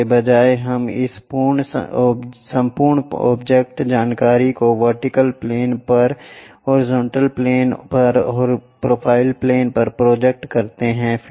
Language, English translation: Hindi, Instead of that we project this entire object information on to vertical plane, on to horizontal plane, on to profile plane